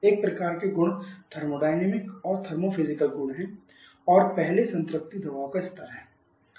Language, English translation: Hindi, One kind of properties of a thermodynamic and thermos physical properties and their first is the saturation pressure levels